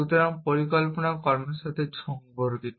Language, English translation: Bengali, So, planning is concerned with actions